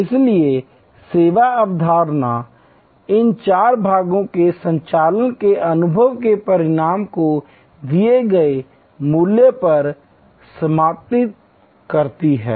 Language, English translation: Hindi, service concept will therefore, empress all these four parts operation experience outcome on the value provided